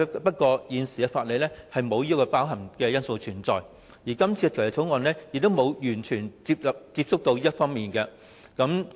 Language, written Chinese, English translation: Cantonese, 不過，現行法例並無包含這些因素，而這項《條例草案》也沒有觸及這些方面。, Nevertheless these factors are not included in the current legislation and the Bill has not touched on these areas